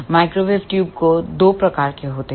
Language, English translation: Hindi, Microwave tubes are of two types